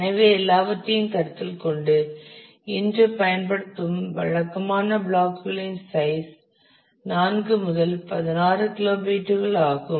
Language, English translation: Tamil, So, with all that consideration the typical blocks size that use today is 4 to 16 kilobytes